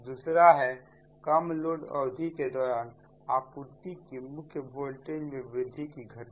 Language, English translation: Hindi, second one is occurrence of increase supply main voltage during low load period